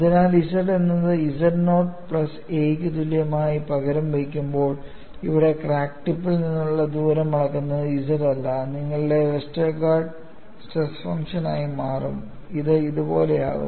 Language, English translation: Malayalam, So, when you substitute small z equal to z naught plus a, where z naught is this distance measurement from the crack tip, your Westergaard’s stress function would change, and it would be something like this